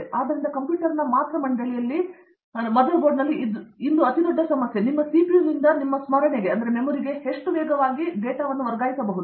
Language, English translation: Kannada, So, the biggest problem today in a computer mother board is how fast can you transfer from your CPU to your memory, right